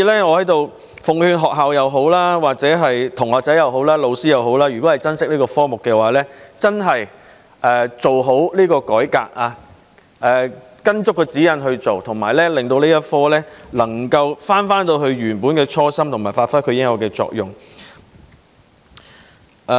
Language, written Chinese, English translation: Cantonese, 我在此奉勸不論是學校、同學或老師，如果珍惜這個科目，便真的要做好改革，依足指引辦事，令這個科目能夠返回設立該科的初心，以及發揮其應有的作用。, Here I would like to advise that if schools students or teachers treasure this subject they should properly implement the reform and follow the guidelines with a view to restoring the original intent of introducing the LS subject and allowing it to properly play its role